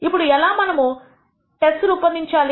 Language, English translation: Telugu, Now,how do we construct the tests